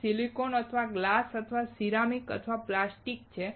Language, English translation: Gujarati, It is silicon or glass or ceramic or plastic